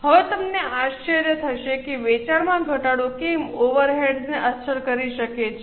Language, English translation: Gujarati, Now, you may wonder that why reduction of sales can affect over ates